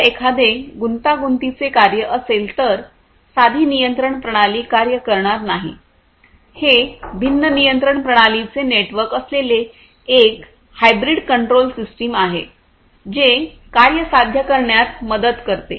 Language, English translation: Marathi, If there is a complex task, simple control systems will not work, it will be a network of different control systems it will be a hybrid con control system which will basically help in achieving the task